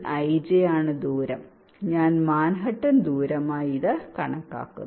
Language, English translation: Malayalam, distance i am calculated as a manhattan distance